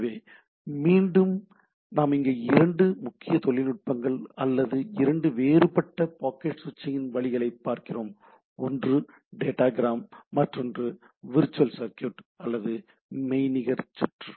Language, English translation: Tamil, So again, here also what we see there are two predominant techniques or two different ways of packet switch: one is datagram, another is the virtual circuit